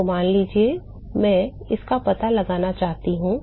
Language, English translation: Hindi, So, suppose I want to find out